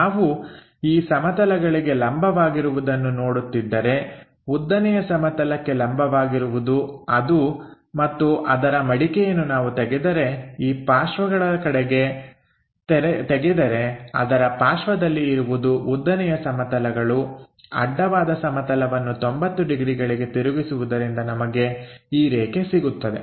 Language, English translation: Kannada, If we are looking normal to that plane, normal to vertical plane and unfolding it or if we are looking on to this sideways; sideways of that will be this is the vertical plane, horizontal plane by flipping 90 degrees we will have this line